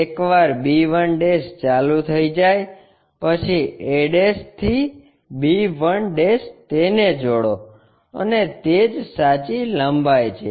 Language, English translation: Gujarati, Once b 1' is on, a' to b 1' connect it and that is the true length